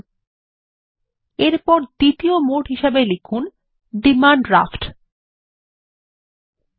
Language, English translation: Bengali, Next, lets type the second mode of payment as Demand Draft